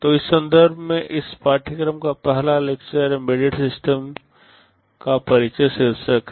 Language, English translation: Hindi, So, in this context the first lecture of this course, is titled Introduction to Embedded Systems